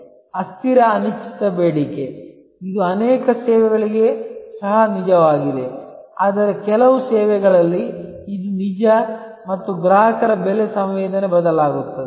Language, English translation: Kannada, Variable an uncertain demand, which is also true for many services, but in some services, it is truer and there is varying customer price sensitivity